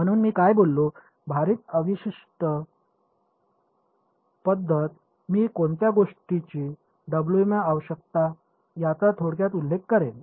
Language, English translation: Marathi, So, what I spoke about, was the weighted residual method I will briefly mention what are the requirements on Wm ok